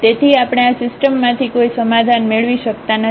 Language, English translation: Gujarati, So, we cannot get a solution out of this system